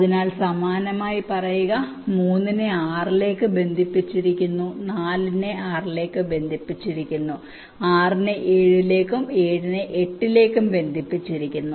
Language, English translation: Malayalam, so, similarly, say, three is connected to six, four is connected to six and six is connected to seven, and here seven is connected to eight, this one